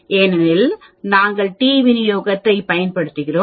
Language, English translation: Tamil, 58 because we are using t distribution